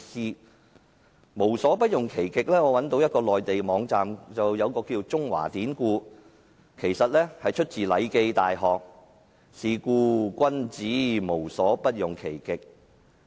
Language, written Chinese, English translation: Cantonese, 就"無所不用其極"這成語，我找到一個名為"中華典故"的內地網站，得知這是出自《禮記.大學》："是故君子無所不用其極"。, I learnt from a Mainland website called Chinese Classical Allusions that the expression using ones utmost endeavours came from The Classic of Rites - The Great Learning in which it said therefore the superior man in everything uses his utmost endeavours